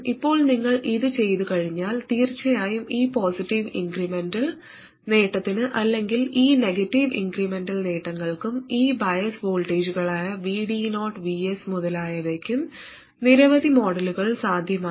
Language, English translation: Malayalam, Now, after you do this, there are of course many realizations possible for this positive incremental gain or these negative incremental gains and choice of these bias voltages, VD0, VS, 0 and so on